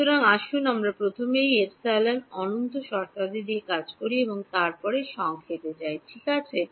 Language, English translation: Bengali, So, let us let us deal with these epsilon infinity terms first and then get to the summation right